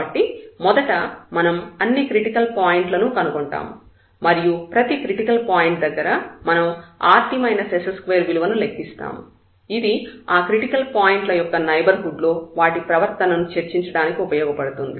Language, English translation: Telugu, So, we will compute first all the critical points and for each critical point we will investigate that rt minus s square term to discuss the behavior of those critical points in the neighborhood